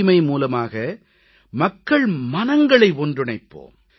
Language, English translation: Tamil, We shall connect people through cleanliness